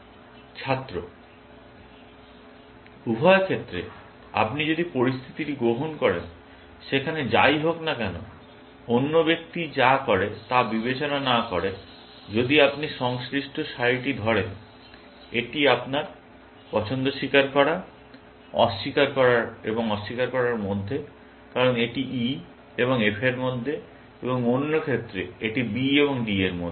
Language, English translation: Bengali, Either case, if you take the situation where, whatever, regardless of what the other person does, if you say corresponding row; your choice is between confessing and denying, because it is between E and F, and in the other case, it is between B and D